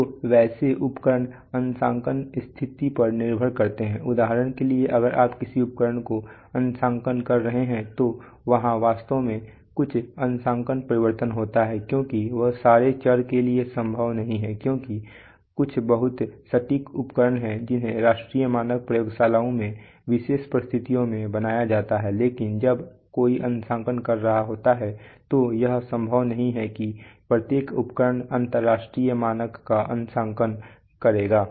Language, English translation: Hindi, So such instruments depending on the calibration situation for example if you are calibrating, if you are calibrating, there is a, there is actually a calibration change in the sense that, when you are calibrating some instrument in the factory it is not possible for all variables there are some very, very accurate instruments which are maintained in under special conditions in you know you know national standards laboratories but when somebody is calibrating let us say in a short floor it is not possible to possible that that every instrument will be calibrating international standard